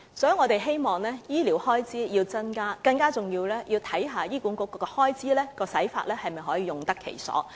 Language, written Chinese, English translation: Cantonese, 所以，我們希望政府增加醫療開支，更重要的是要審視醫管局的開支是否用得其所。, Therefore we hope the Government can increase its health care expenditure . More importantly it should examine whether the Hospital Authority puts its funding to effective use